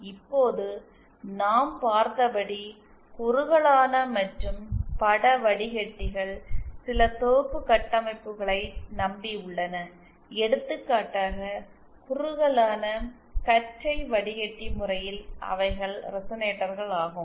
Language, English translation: Tamil, Now both the narrowband and image filters as we had seen, they rely on certain set structures, for example in the narrowband filter case, there were resonators